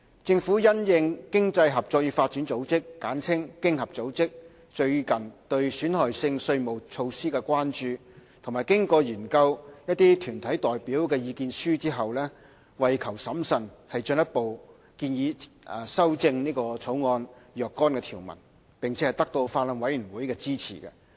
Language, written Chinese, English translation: Cantonese, 政府因應經濟合作與發展組織最近對損害性稅務措施的關注，亦研究了團體代表的意見書，為求審慎，進一步建議修正《條例草案》若干條文，並得到法案委員會的支持。, In response to recent concern over harmful tax practices raised by the Organisation for Economic Co - operation and Development OECD and having studied the submissions from deputations the Government proposed for the sake of prudence further amendments to certain clauses of the Bill